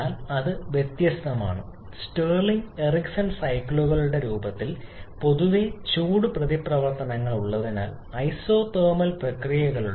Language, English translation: Malayalam, But that is different in case of the Stirling and Ericsson cycles because they generally have heat interactions in the form of isothermal processes